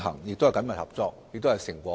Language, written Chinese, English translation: Cantonese, 雙方緊密合作，亦已取得成果。, Both sides have cooperated closely with each other and attained some fruit